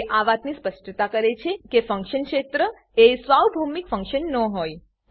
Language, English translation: Gujarati, It specifies that function area is not a global function